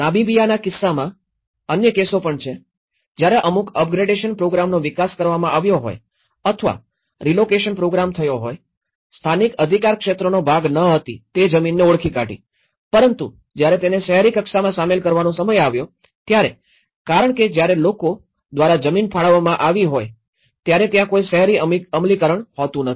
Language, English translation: Gujarati, There is also other cases when in cases of Namibia, when certain up gradation program have been developed or the relocation program have done, they identified the land which was not part of the you know, in the local jurisdiction but then, the time it came into it has been included in the urban level, by the time people because there is no urban enforcement when they have been allocated a land